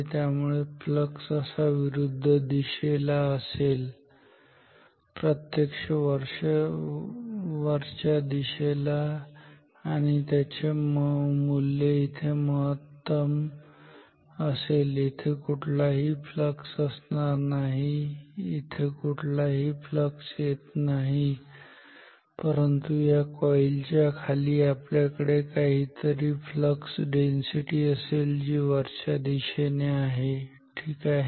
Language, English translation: Marathi, So, flux will be in the opposite direction like this ok, so actually upwards and it will have a high value its maximum value here are no flux, here are no flux, but below this coil we will have some flux density which is upwards ok